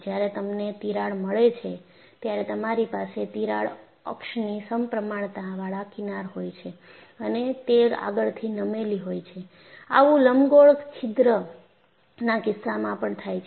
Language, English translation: Gujarati, When I have a crack,I have fringes symmetrical about the crack access, and they are also forward tilted, which is also happening in the case of an elliptical hole